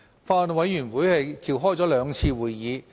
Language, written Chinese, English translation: Cantonese, 法案委員會共召開了兩次會議。, The Bills Committee convened two meetings in total